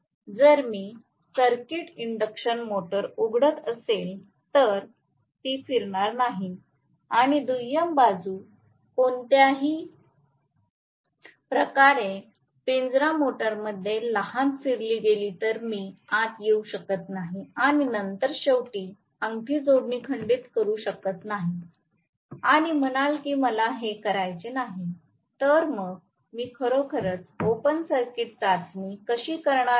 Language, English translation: Marathi, If I open circuit the induction motor it is not going to rotate and the secondary side is any way short circuited in a cage motor, I cannot get in and then break the end ring connection and say it is open circuited I do not want to do that, so how I am going to really do the open circuit test